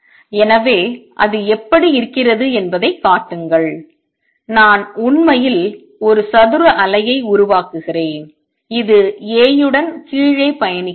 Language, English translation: Tamil, So, and show that what it looks like is I am actually creating a square wave which travels down with this being A